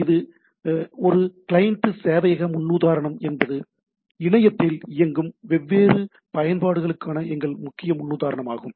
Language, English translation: Tamil, Now this is a as we understand this client server paradigm is a predominant paradigm in our for application different application running over the internet